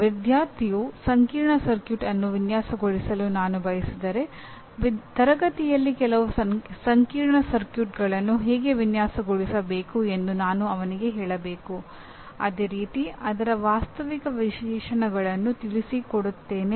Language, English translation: Kannada, If I want my student to be able to design a complex circuit, I must tell him how to design and actually design some complex circuits in the class taking realistic specifications of the same